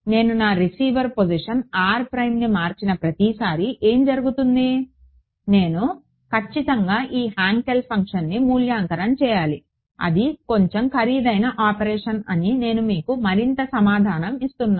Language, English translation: Telugu, What will happen at every time I change my receiver position r prime I have to evaluate this Hankel function; obviously, right and I am giving you further information that that is a slightly expensive operation